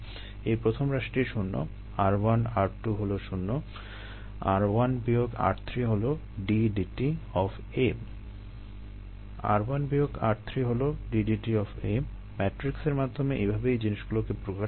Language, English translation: Bengali, ah, this first term is zero r one r two is zero r one minus r three is d d t of a r one minus r three is d d t of a right